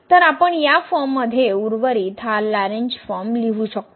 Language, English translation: Marathi, So, we can we write this Lagrange form of the remainder in this form as well